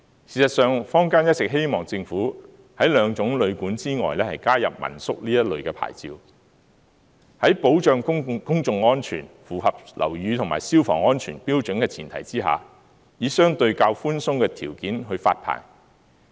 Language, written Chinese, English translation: Cantonese, 事實上，坊間一直希望政府在兩種旅館之外，加入民宿這類牌照。在保障公眾安全、符合樓宇及消防安全標準的前提下，以相對較寬鬆的條件去發牌。, As a matter of fact the community has been hoping that the Government will add the licence for family - run lodgings as another option of accommodation on top of the two licences for hotels and guesthouses by issuing licences to family - run lodgings in a more relaxed manner under the prerequisite that public safety is protected and the building structure and fire safety standards are met